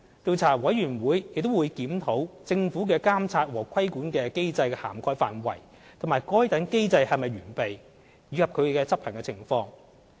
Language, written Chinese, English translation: Cantonese, 調查委員會亦會檢討政府的監察和規管機制的涵蓋範圍及該等機制是否完備，以及其執行情況。, The Commission will also look into the adequacy of the Governments monitoring mechanism as well as the coverage of its regulatory control and the implementation thereof